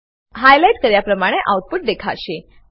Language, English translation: Gujarati, The output displayed is as highlighted